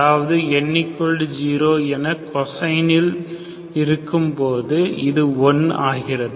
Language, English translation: Tamil, When I put n equal to 0, this becomes 0, this is 0